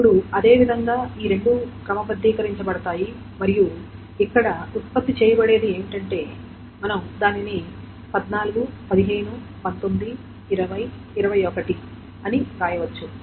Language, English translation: Telugu, Now in the same manner, these two will be sorted and what will be produced here is the, we can simply write it down, 14, 15, 19, 20, 21